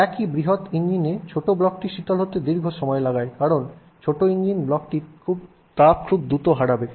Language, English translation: Bengali, Large engine block will take long time to cool, small engine block will lose heat very fast